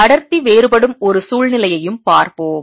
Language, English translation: Tamil, let us also look at a situation where the density varies